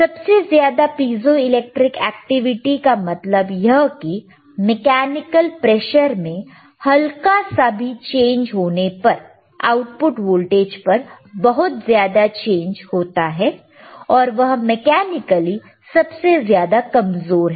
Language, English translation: Hindi, So, this is tThe greatest piezoelectric activity; that means, that a small change in mechanical pressure can cause a huge change in output voltage, but is mechanically weakest